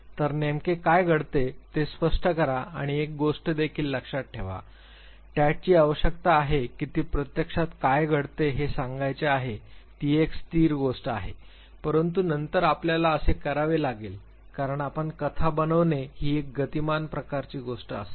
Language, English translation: Marathi, So, clear what exactly takes place and remember also one thing TAT requires that you should tell what actually is happening there it is a static thing, but then you have to because your constructing a story it will be a dynamic type of a thing